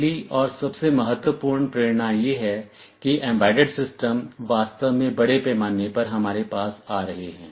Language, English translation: Hindi, The first and foremost motivation is that embedded systems are coming to us in a really big way